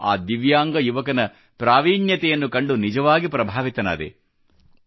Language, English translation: Kannada, I was really impressed with the prowess of that divyang young man